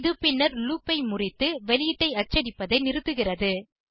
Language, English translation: Tamil, It subsequently breaks out of the loop and stops printing the output